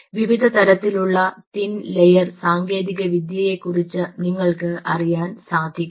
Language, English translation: Malayalam, you should be able to know the different kind of a thin layer technology, a thin layer technology